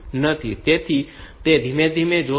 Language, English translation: Gujarati, So, that is will see that slowly